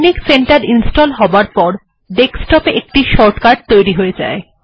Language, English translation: Bengali, Then texnic center gets installed with a shortcut on the desktop